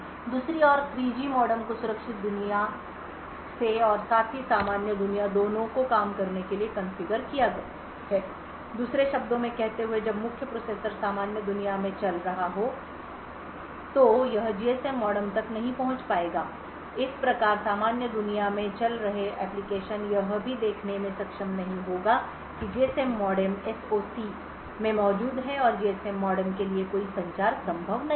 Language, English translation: Hindi, On the other hand the 3G modem is configured to work both from the secure world as well as the normal world putting this in other words when the main processor is running in the normal world it will not be able to access the GSM modem thus applications running in the normal world would not be able to even see that the GSM modem is present in the SOC and no communication to the GSM modem is possible